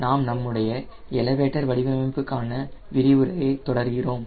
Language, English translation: Tamil, we are continuing our lecture on elevator design at a conceptual stage